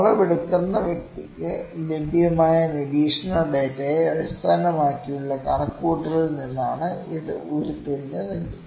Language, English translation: Malayalam, If it is derived from the calculation based upon the observation data available to the person producing the measurement